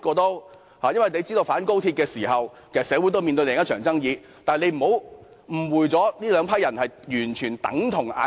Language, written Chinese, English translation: Cantonese, 你也知道，市民反高鐵示威時，社會其實面對另一場爭議，但你不要誤會這兩批人是完全相同的。, You may also be aware that when people protested against the construction of XRL back then the whole community was faced with another dispute . But you should not wrongly think that the two groups of people are identical